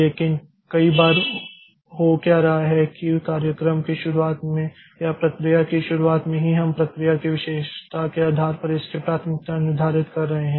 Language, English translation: Hindi, But many times so so what is happening is at the beginning of the program or beginning of the process itself we are determining what should be the priority of the process based on the characteristic of it